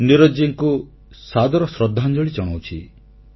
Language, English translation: Odia, My heartfelt respectful tributes to Neeraj ji